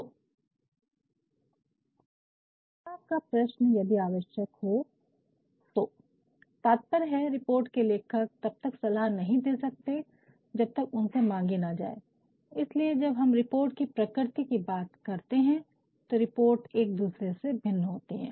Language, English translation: Hindi, The question is recommendations if required, meaning thereby report writers are not supposed to recommend unless and until they have been asked to, that is why, when we talk about the nature of reports, reports vary, from one report to another they vary